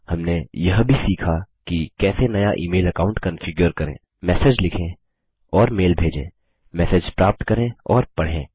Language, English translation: Hindi, We also learnt how to: Configure a new email account, Compose and send mail messages, Receive and read messages, Log out of Thunderbird